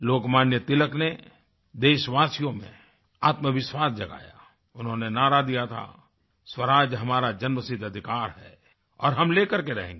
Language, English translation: Hindi, Lokmanya Tilak evoked self confidence amongst our countrymen and gave the slogan "Swaraj is our birth right and I shall have it